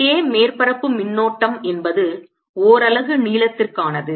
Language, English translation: Tamil, k surface current is percent unit length